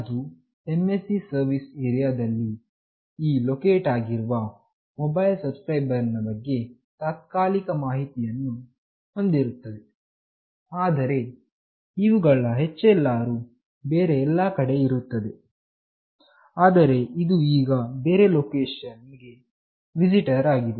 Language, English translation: Kannada, It contains temporary information about the mobile subscriber that are currently located in that MSC service area, but whose HLR are elsewhere, but it is now a visitor for the other location